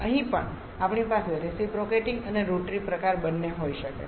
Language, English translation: Gujarati, Here also we can have both reciprocating and rotary type